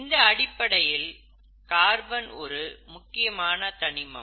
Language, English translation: Tamil, So in that sense, carbon seems to be a very nice element